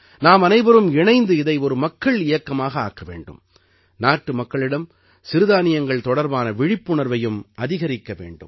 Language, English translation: Tamil, Together we all have to make it a mass movement, and also increase the awareness of Millets among the people of the country